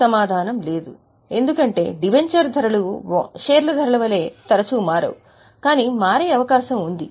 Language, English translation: Telugu, Even then the answer is no because debenture prices do not change as frequently as share prices but nevertheless they can also change